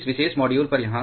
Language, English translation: Hindi, Here on this particular module